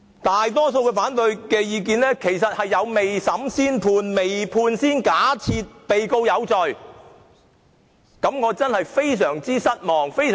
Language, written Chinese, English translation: Cantonese, 大多數的反對意見都有未審先判、未判先假定被告有罪的嫌疑。, Many opponents are suspected to have delivered a judgment before trial and presumed the defendant guilty before trial